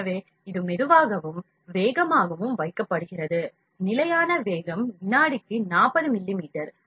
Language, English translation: Tamil, So, it is kept slow and fast it is same that is the fixed speed is 40 millimeters per second